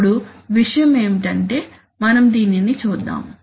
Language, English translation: Telugu, Now the point is that suppose let us look at this